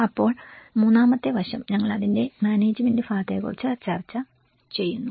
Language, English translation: Malayalam, Then the third aspect is we discussed about the management part of it